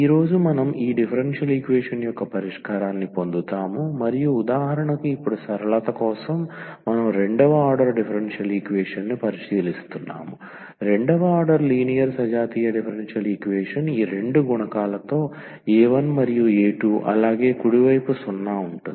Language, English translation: Telugu, So, today we will now get to the solution of this differential equation and for example now for simplicity we are considering the second order differential equation, second order linear homogeneous differential equation with these two coefficients a 1 and a 2 and the right hand side is 0